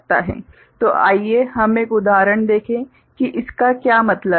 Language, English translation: Hindi, So, let us just look at an example what it means